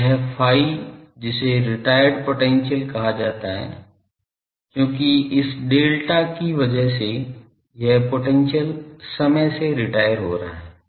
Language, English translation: Hindi, So, this phi which is called retired potential because due to this delta the potential is getting retired in time